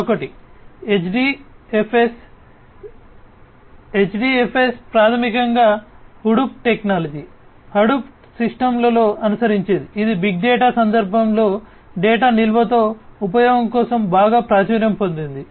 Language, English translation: Telugu, Another one is HDFS, HDFS is basically something that is followed in the Hadoop technology, Hadoop system, which is quite popular for use with storage of data, in the big data context